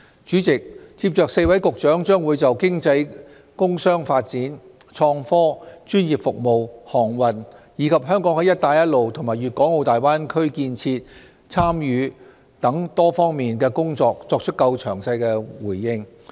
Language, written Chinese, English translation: Cantonese, 主席，接着4位局長將就經濟工商發展、創科、專業服務、航運，以及香港在"一帶一路"及粵港澳大灣區建設的參與等多方面的工作作出較詳細的回應。, President the four Directors of Bureaux will elaborate on the work in such domains as economic development commerce and industry IT professional services shipping and Hong Kongs participation in the Belt and Road Initiative and the Greater Bay Area development